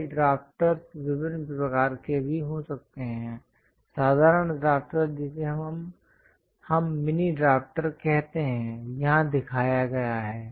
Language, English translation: Hindi, These drafters can be of different types also;, the simple drafter which we call mini drafter is shown here